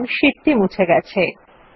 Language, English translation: Bengali, You see that the sheet gets deleted